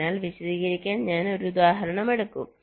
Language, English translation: Malayalam, so we shall take an example to illustrate